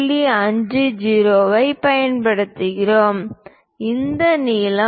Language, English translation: Tamil, 50 it indicates that this length supposed to be 2